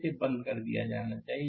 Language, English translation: Hindi, It should be turned off